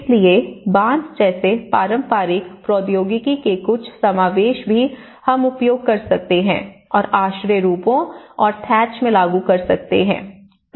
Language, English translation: Hindi, So, even some incorporation of traditional technology like bamboo how we can make use of bamboo and embed that in the shelter forms and thatch